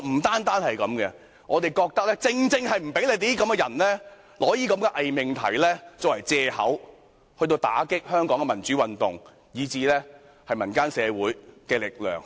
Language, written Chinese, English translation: Cantonese, 但不單如此，我們還覺得不要讓你們借用這些偽命題，打擊香港的民主運動和民間社會的力量。, However it is also our belief that you should not be allowed to make use of this pseudo - proposition to deal a blow to the democratic movement in Hong Kong and the strengths of our civic society